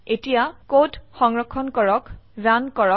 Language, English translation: Assamese, Now, let us save and run this code